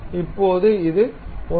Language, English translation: Tamil, Now, this supposed to be 1